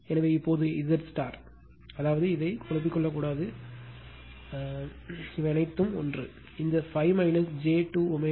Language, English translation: Tamil, So, now, Z star if, that means, what you can do is that, you should not be confused with this what you can do is this all are same